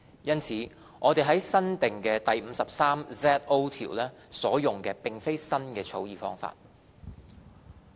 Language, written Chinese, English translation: Cantonese, 因此，我們在新訂第 53ZO 條所用的並非新的草擬方法。, Thus the drafting approach in the new section 53ZO is nothing new